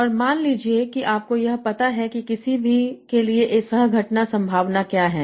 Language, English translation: Hindi, And suppose you find out what is the coquence probability for 22 words